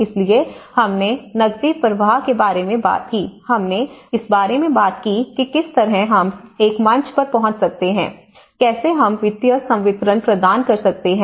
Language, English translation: Hindi, So, we talked about the cash flows, we talked about how at a stage wise, how we can deliver the financial disbursement